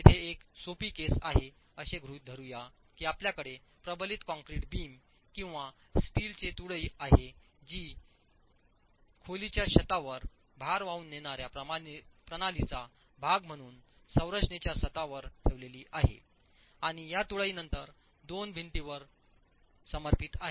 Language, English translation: Marathi, A simple case here is let us assume that you have beams, reinforced concrete beams or a steel beam that is placed in the roof of the room, in the roof of the structure as part of the load carrying system and this beam is then supported on two walls